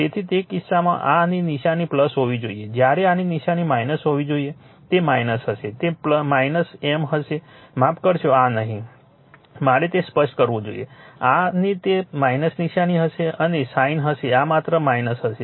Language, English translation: Gujarati, So, in that case sign of this one should be plus while sign of this one should be minus it will be minus right it will be minus M sorry not this one ye it should let me clear it, that sign of this one will be minus and sign of this only will be minus